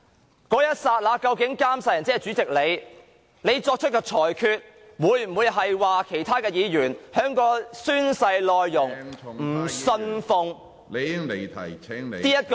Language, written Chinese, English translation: Cantonese, 在那一刻，監誓人即主席你所作出的裁決，會否令其他議員因不信奉其宣誓當中......, In that case will the oath administrator that is you President rule that since some Members do not really believe in the content of the oath on